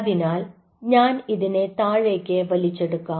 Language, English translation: Malayalam, so let me just, ah, pull it down